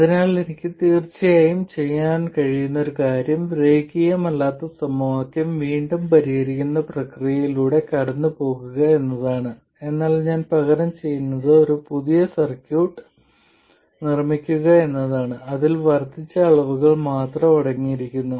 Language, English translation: Malayalam, So, one thing I could do of course is go through the process of solving the nonlinear equation again, but what I do instead is make a new circuit which consists only of incremental quantities